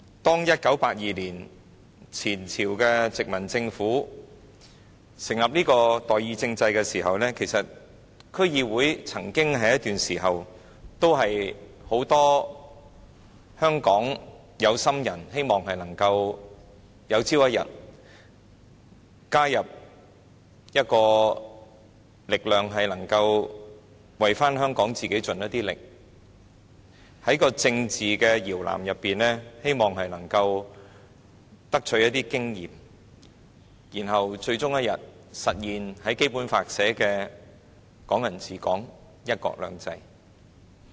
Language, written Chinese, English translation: Cantonese, 當前朝的殖民政府在1982年成立代議政制的時候，曾經有一段時間，很多香港的有心人都希望透過加入區議會，能夠為香港盡一點力，能夠在政治搖籃中取得一些經驗，然後最終一天實現《基本法》訂明的"港人治港"、"一國兩制"。, When the former colonial government set up the representative government in 1982 there was a time when many people aspiring to participation in public affairs hoped that by joining the District Boards they could do something for Hong Kong and gain some experience in the political crib so that Hong Kong people ruling people and one country two systems as stated in the Basic Law could be eventually realized one day